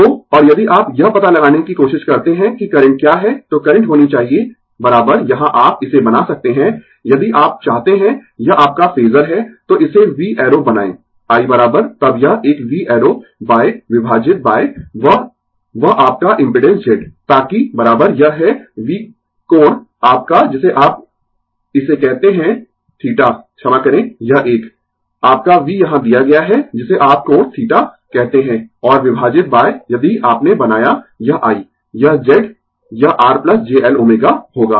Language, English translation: Hindi, So, and if you try to find out what is the current, so current should be is equal to here you can make it, if you want it is your phasor, so make it v arrow; i is equal to then this one v arrow by divided by that that your impedance Z, so that is equal to it is v angle your what you call theta sorry this one, your v is given here what you call angle theta, and divided by if you made this i, this Z, it will be R plus j L omega right